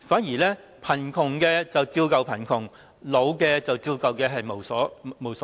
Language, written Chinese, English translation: Cantonese, 結果貧窮的人依舊貧窮，年老的人依舊老無所依。, As a result people in poverty remain poor and the elderly remain lacking any sense of belonging